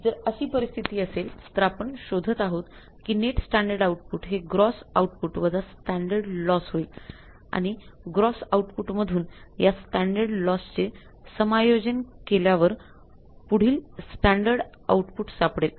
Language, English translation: Marathi, So what a net standard output standard output is the gross output gross output minus standard loss gross output minus standard loss which is called as the net standard output